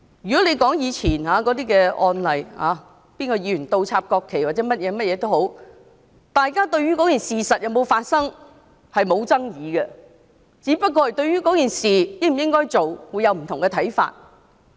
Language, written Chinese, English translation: Cantonese, 回顧以往的案例，例如某議員倒插國旗或其他行為，大家對事情有否發生並無爭議，只是對應否那樣做有不同看法。, Looking back at past cases such as a Member inverting the national flag or taking other actions no one would dispute whether the act had taken place we only had different views towards the action itself